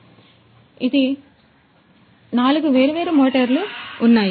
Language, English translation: Telugu, So, like this there are four different motors